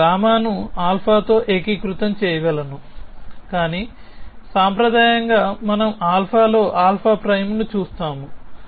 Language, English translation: Telugu, I can unify gamma with alpha, but it traditionally we see alpha prime in alpha